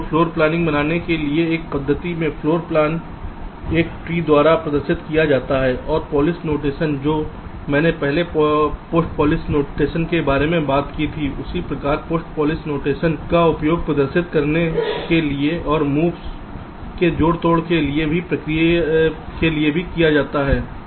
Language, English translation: Hindi, ok, so so in this method for floor planning, the floor plan is represented by a tree and the polish notation that i talked about earlier, that postfix notation, that same kind of postfix notation, is used for representation and also for manipulation of the moves